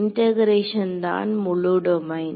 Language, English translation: Tamil, The integration is the whole domain